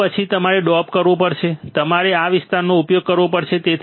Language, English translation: Gujarati, After that you have to dope; you have to dope this area